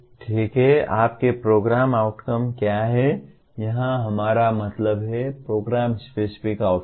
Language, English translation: Hindi, Okay, what are your Program Outcomes, here we mean Program Specific Outcomes